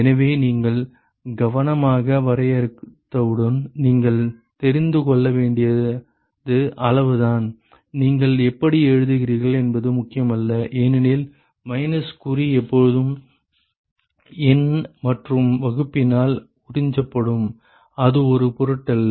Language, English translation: Tamil, So, that is all you need to know once you define that carefully it does not matter how you write because minus sign will always be absorbed by the numerator and the denominator it does not matter